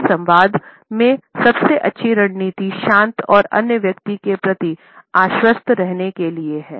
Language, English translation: Hindi, In this dialogue the best strategy to remain cool and assuring towards the other person